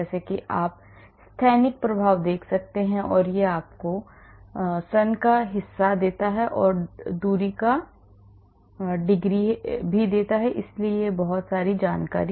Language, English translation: Hindi, As you can see the steric effect and this gives you the eccentricity part of it this is the degree of distance, so a lot of information on this